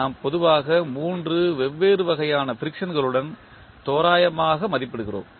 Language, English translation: Tamil, We generally approximate with 3 different types of friction